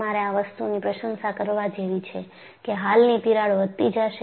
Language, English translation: Gujarati, So, you have to appreciate that the existing crack will grow